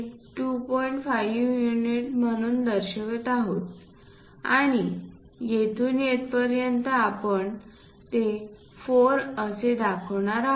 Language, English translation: Marathi, 5 units and from here to here, we are going to show it as 4